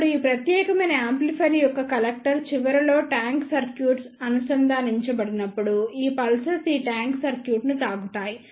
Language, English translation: Telugu, Now, when the tank circuit is connected at the collector end of this particular amplifier then these pulses strike this tank circuit